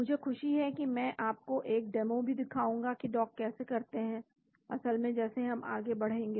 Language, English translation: Hindi, I am glad that I will also show you a demo of how to dock, actually as we go along